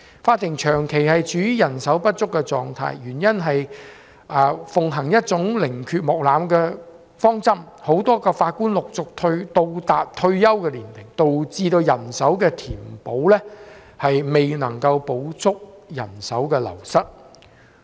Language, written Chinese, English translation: Cantonese, 法庭長期處於人手不足的狀態，原因是奉行寧缺毋濫的方針，很多法官陸續到達退休年齡，導致人手的填補未能補足人手的流失。, Manpower shortage has been a long - standing problem facing the courts because of the principle of putting quality before quantity . As many Judges will successively reach the retirement age the filling of vacancies cannot meet the shortfall of manpower wastage